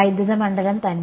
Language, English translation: Malayalam, Electric field itself right